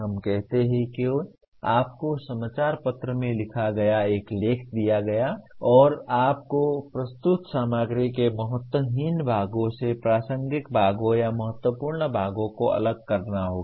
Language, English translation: Hindi, Let us say you are given an article written in the newspaper and now you have to distinguish relevant parts or important parts from unimportant parts of the presented material